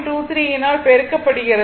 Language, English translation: Tamil, 23 and multiply